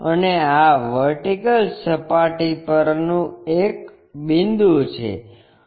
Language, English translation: Gujarati, And this is a point on vertical plane